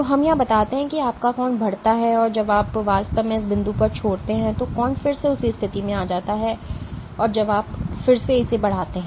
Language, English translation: Hindi, So, let us say your angle increases and when you really release at this point you release relax the angle will keep on coming to the same position again you increase